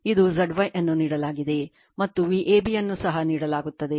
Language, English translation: Kannada, This is your Z y is given, and V ab is also given